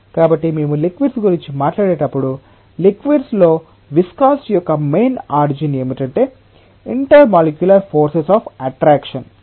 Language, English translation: Telugu, So, when we talk about liquids, the main origin of viscosity in liquids is intermolecular forces of attraction